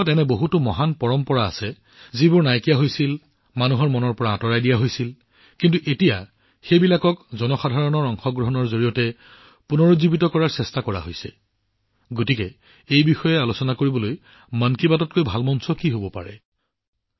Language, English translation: Assamese, There are many such great traditions in our country which had disappeared, had been removed from the minds and hearts of the people, but now efforts are being made to revive them with the power of public participation, so for discussing that… What better platform than 'Mann Ki Baat'